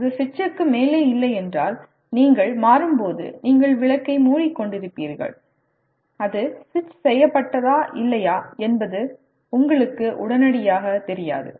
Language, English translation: Tamil, If it is not above the switch, obviously when you are switching on you will be covering the lamp and you would not immediately know whether it is switched on or not